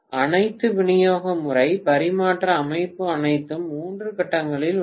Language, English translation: Tamil, All the distribution system, transmission system everything is in three phase